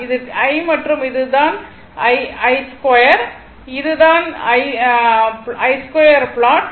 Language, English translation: Tamil, This i, this is i and this is i square, this is i square plot right